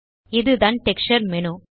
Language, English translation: Tamil, This is the Texture menu